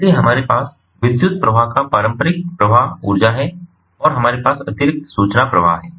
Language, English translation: Hindi, so we have the traditional flow of power, ah, the energy, the electricity, and we have the additional information flow